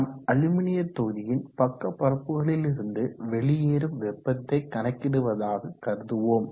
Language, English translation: Tamil, So now let us calculate what is the heat flow out of the sides of the aluminum block